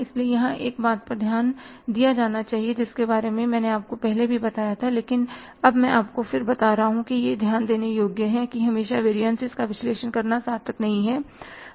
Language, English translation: Hindi, So, here one point to be noted which I thought of telling you earlier also but I am now telling you it is worth mentioning that always it is not worthwhile to analyze the variances